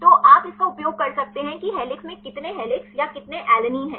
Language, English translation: Hindi, So, you can use it how many helix how many alanine or not in helix